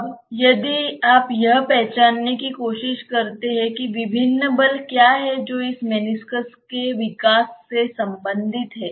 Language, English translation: Hindi, Now, if you try to identify that what are the various forces which are related to the development of this meniscus